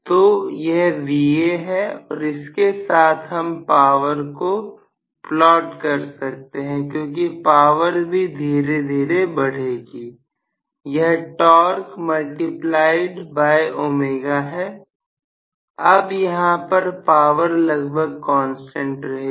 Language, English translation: Hindi, So, this is Va along with this I can plot power also so the power will also rise slowly, because it is torque multiplied by omega